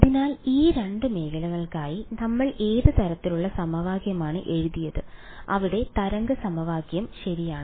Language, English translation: Malayalam, So, what kind of equation did we write for these 2 regions there were the wave equation right